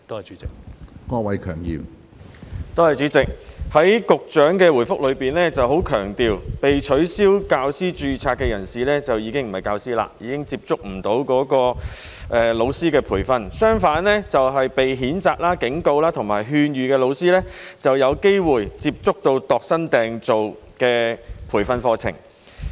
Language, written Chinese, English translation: Cantonese, 主席，局長在主體答覆中很強調，被取消教師註冊的人士已經不是教師，已經接觸不到老師的培訓；相反，被譴責、警告或勸諭的老師則有機會接觸到度身訂造的培訓課程。, President in the main reply the Secretary has emphasized that de - registered teachers are no longer teachers and thus they are unable to receive training . On the contrary those teachers who have been reprimanded warned or advised can have the chance of receiving tailor - made training programmes